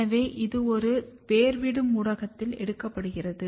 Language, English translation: Tamil, So, this is taken on a rooting media